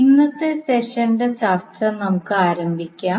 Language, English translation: Malayalam, So let us start the discussion of today’s session